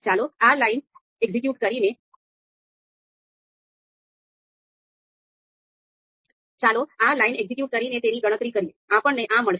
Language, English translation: Gujarati, So let us compute this, execute this line, and we will get this